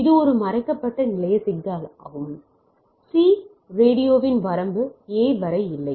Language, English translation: Tamil, So, it is a hidden station problem there are range of C radio is not up to the A